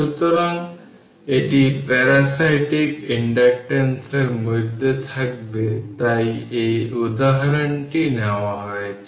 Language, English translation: Bengali, So, it will be in the parasitic inductances that that is why this example is taken taken right